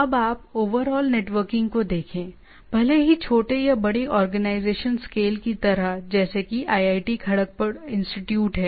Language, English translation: Hindi, Now, you see if you look at the overall networking, even in a small or in organizational scale like say institute like IIT Kharagpur